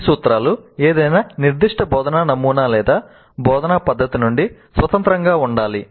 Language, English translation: Telugu, Now these principles are to be independent of any specific instructional model or instructional method